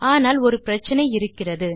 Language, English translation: Tamil, But there is one problem